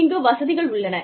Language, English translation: Tamil, We have amenities